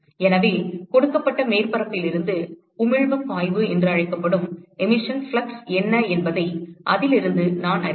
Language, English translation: Tamil, So, from that I will know what is the emission flux from a given surface